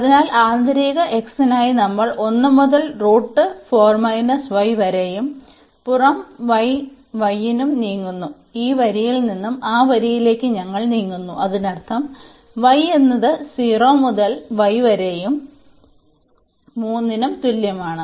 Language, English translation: Malayalam, So, for the inner one x we are moving from 1 to the square root 4 minus y and for the outer one for the y, we are moving from this line to that line; that means, y is equal to 0 to y is equal to 3